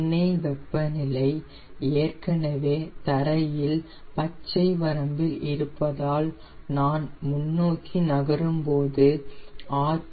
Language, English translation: Tamil, since the oil temperature is already in the ground green range and moving ahead, i will take the rpm to eighteen hundred